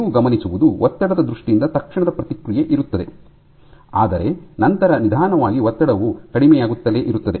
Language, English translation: Kannada, So, what you will observed is in terms of stress there is an immediate response, but then slowly these systems the stress will keep on keep coming down